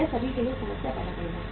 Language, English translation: Hindi, It will create a problem for all